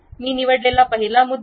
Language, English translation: Marathi, The first point I have picked